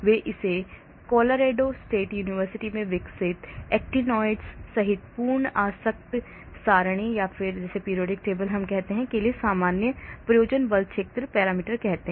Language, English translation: Hindi, they call it general purpose force field parameters for the full periodic table including the actinoides developed at Colorado State University